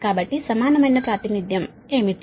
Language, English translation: Telugu, so what will be the equivalent pi representation